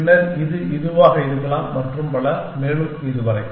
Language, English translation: Tamil, Then, it could be this one and so on and so far